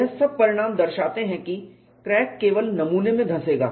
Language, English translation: Hindi, All this result show the crack will penetrate only into the specimen